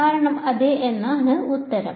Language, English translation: Malayalam, Answer is yes because